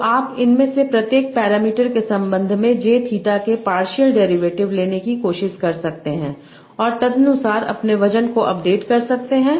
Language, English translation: Hindi, So you can try to take partial derivative of j theta with respect to each of these parameters and update your weights accordingly